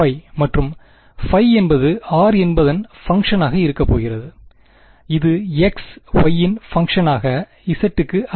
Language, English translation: Tamil, And phi remembers going to be a function of r, which is the function of x y not z right